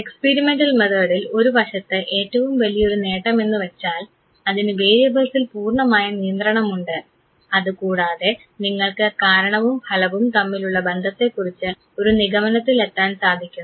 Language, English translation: Malayalam, Experimental method on the other hand the greatest advantage is that it has a strict control of variables, and you can draw conclusion about the cause and effect relationship